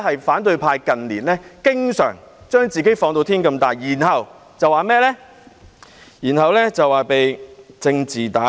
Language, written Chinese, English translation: Cantonese, 反對派近年經常把自己放至無限大，然後說被政治打壓。, In recent years the opposition camp has often blown themselves up without bounds and then alleged that they were besieged by political suppression